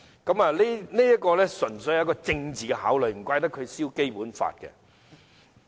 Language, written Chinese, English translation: Cantonese, 他這樣做，純粹出於政治考慮，難怪他焚燒《基本法》。, He did so simply out of political considerations thus no wonder he burnt copies of the Basic Law